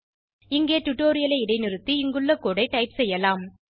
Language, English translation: Tamil, You can pause the tutorial, and type the code as we go through it